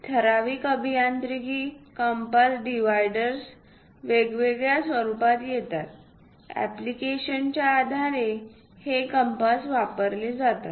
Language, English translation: Marathi, So, typical engineering compass dividers come in different formats; based on the application, one uses this compass